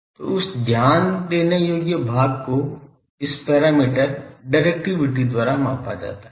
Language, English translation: Hindi, So, that focusing part is measured by this parameter directivity